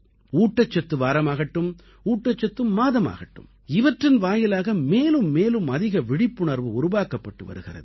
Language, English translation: Tamil, Whether it is the nutrition week or the nutrition month, more and more awareness is being generated through these measures